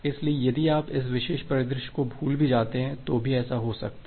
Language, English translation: Hindi, So, even if you forget this particular scenario it may happen that it may happen that well yeah